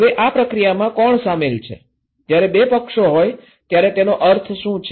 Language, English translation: Gujarati, Now, who are involved into this process, what is the meaning when there are two parties